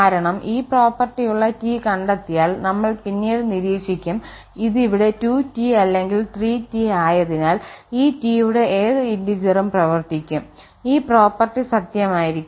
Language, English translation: Malayalam, Because once I mean we will observe also later that once we find some this capital T such that this property holds here than the 2T or the 3T any integer multiple of this T will also work and this property will be true